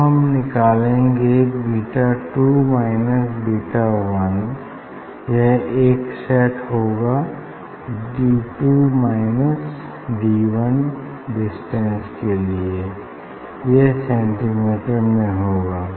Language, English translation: Hindi, Now, beta 2 minus beta 1 this is one set I will get for D 2 minus D 1 for this distance of the difference of D in centimeter